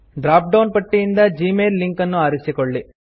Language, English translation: Kannada, Choose the gmail link from the drop down list